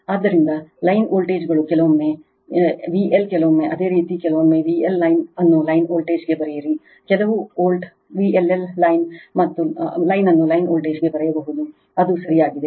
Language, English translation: Kannada, So, line voltages sometimes V L sometimes you call sometimes you write V L line to line voltage some volt they may write V LL line to line voltage it is correct right